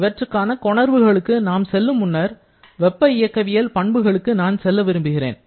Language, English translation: Tamil, For that or before going to the derivation of that, I would like to go back to the thermodynamic property